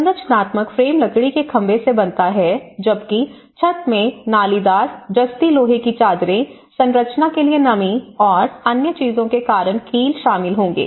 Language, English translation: Hindi, The structural frame is made of wooden poles while the roofing will consist of corrugated, galvanized iron sheets, nail to the structure because of the moisture and other things